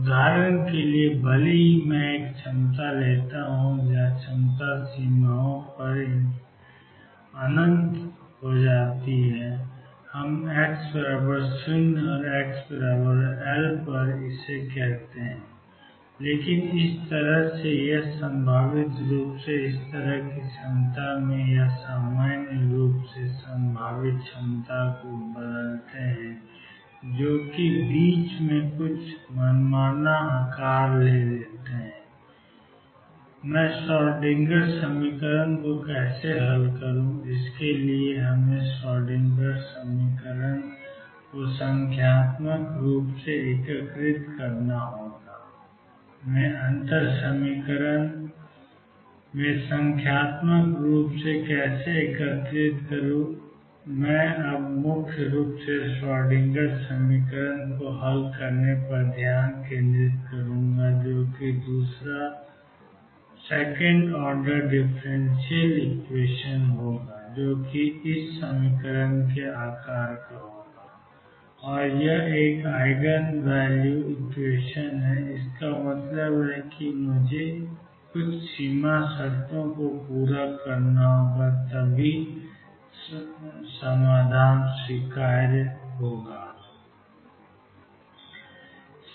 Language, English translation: Hindi, For example, even if I take a potential where the potential becomes infinity at the boundaries let us say x equal 0 and x equals l, but change the potential in between suppose this like this or in the potential which is like this or in general a potential which is some arbitrary shape in between how do I solve the Schrodinger equation and for that we have to numerically integrate the Schrodinger equation, how do I numerically integrate at differential equation, I will write now focus principally on solving the Schrodinger equation which is a second order differential equation psi double prime plus V x psi equals e psi and this is an Eigen value equation; that means, I have to satisfy certain boundary conditions then only the solution is acceptable